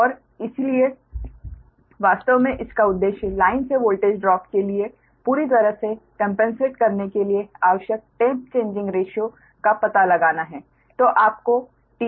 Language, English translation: Hindi, right, and so actually its objective is to find out the tap changing ratios required to completely compensate for the voltage drop in the line right